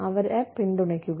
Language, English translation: Malayalam, Be supportive of them